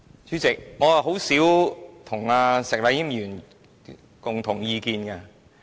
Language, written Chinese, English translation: Cantonese, 主席，我跟石禮謙議員很少持相同意見。, President I seldom see eye to eye with Mr Abraham SHEK